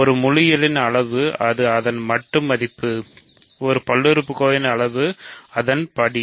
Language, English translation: Tamil, Size of an integer it is just its absolute value, size of a polynomial is its degree